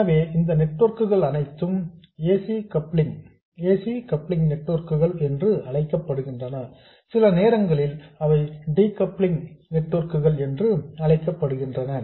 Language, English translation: Tamil, So, these networks are known as AC coupling networks, sometimes they are called decoupling networks and so on